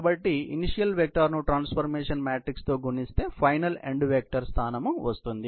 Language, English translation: Telugu, So, the transformation matrix into the initial vectors becomes the final end effector position